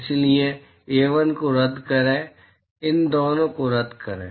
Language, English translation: Hindi, So, cancel off A1, cancel off these two